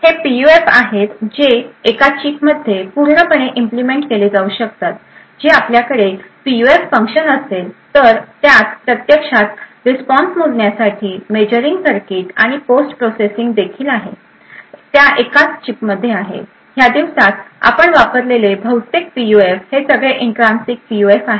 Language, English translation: Marathi, So, these are PUFs which can be completely implemented within a chip that is you would have a PUF function, the measurement circuit to actually measure the response and also, post processing is also, present within that single chip, most PUFs that we used these days are with most PUFs which we actually consider these days are all Intrinsic PUFs